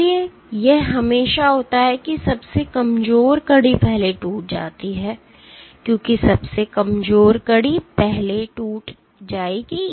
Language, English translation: Hindi, So, it is always that the weakest link breaks first, because the weakest link breaks first